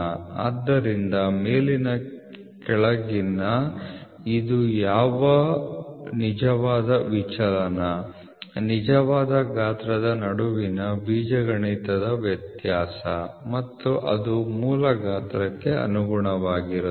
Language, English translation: Kannada, So, upper lower what actual deviation it is the algebraic difference between the actual size and it is corresponding basic size is the actual deviation